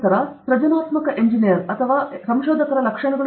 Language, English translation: Kannada, Then the traits of a creative engineer or researcher